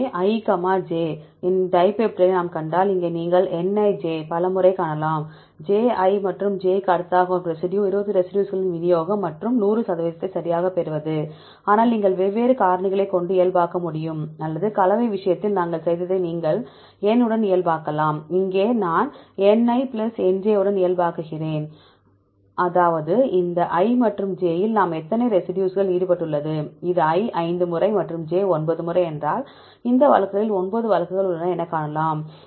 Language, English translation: Tamil, So, if we see the dipeptide of i coma j where is you can see Nij with number of times of residue i which comes next to j, i and j are the distribution of the 20 residues and to get the percentage 100 right, but you can normalize with the different factors, either you can normalize with the N as we did in the case of composition, here I normalize with Ni plus Nj; that means, totally how many residues which are involved in this i and j if it is i 5 times and j 9 times, then there are 9 cases in the sequence